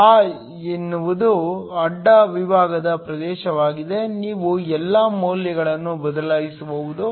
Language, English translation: Kannada, A is the cross sectional area, you can substitute all the values